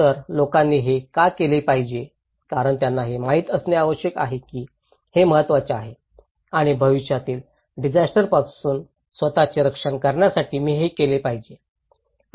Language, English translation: Marathi, So, why people should do it because they need to know that this is the important and I should do it, in order to protect myself from future disasters